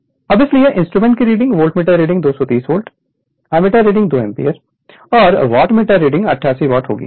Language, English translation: Hindi, Now, hence the readings of the instrument are volt meter reading 230 volt, ammeter reading 2 ampere and wattmeter meter reading will be 88 watt right